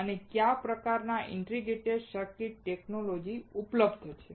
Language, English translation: Gujarati, And what are the kind of integrated circuit technology that are available